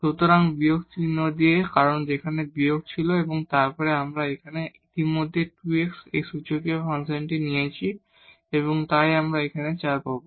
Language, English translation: Bengali, So, with minus sign because there was minus there and then here we have taken already 2 times x and this exponential function, so we will get simply 4 here